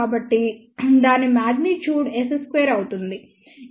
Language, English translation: Telugu, So, magnitude of that will be S 1 1 square